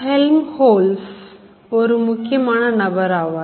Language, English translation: Tamil, So Helmoltz, this is a very important character